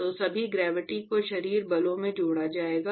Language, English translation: Hindi, So, all gravity etcetera will be coupled into body forces